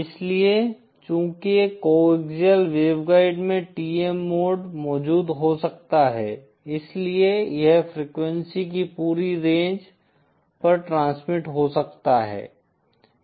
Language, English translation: Hindi, So then, since in a coaxial waveguide TM mode can exist, hence it can transmit over the entire range of frequencies